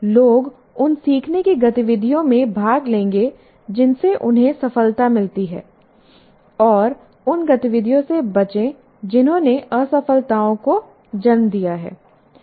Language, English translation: Hindi, And see, people will participate in learning activities that have yielded success for them and avoid those that have produced failures